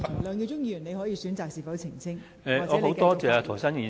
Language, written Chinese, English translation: Cantonese, 梁耀忠議員，你可選擇澄清或繼續發言。, Mr LEUNG Yiu - chung you may choose to clarify or continue with your speech